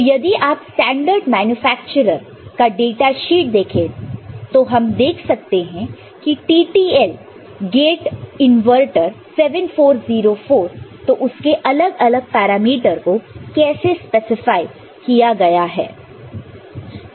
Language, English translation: Hindi, So, if you look at any standard manufacturers datasheet we shall see that how the TTL gate inverter 74 say, 04, what are the different parameters how that is been specified, ok